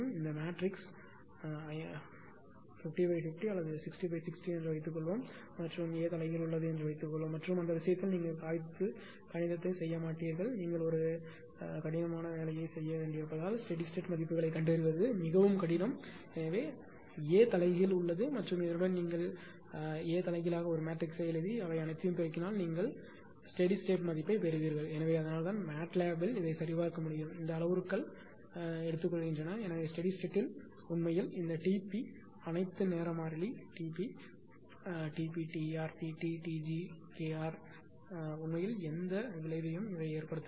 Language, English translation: Tamil, Suppose this matrix is 50 into 50 or 60 into 60 and suppose A inverse exist and in that case you will not ah mathematical on the paper it is very difficult to find out the statistic values because you have to do a laborious task, but if A inverse exists and with all this if you write the A matrix with just a simple inversion and multiplying all these you will get all the steady state values, right